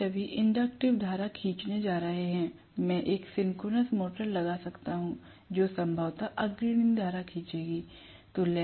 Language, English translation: Hindi, They are all going to draw inductive current; I can put one synchronous motor, which will probably draw leading current